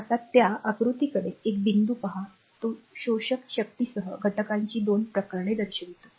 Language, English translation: Marathi, Now look at that figure this figure one point it shows 2 cases of element with absorbing power